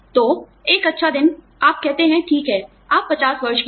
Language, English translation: Hindi, So, one fine day, you say, okay, fine, you are 50 years old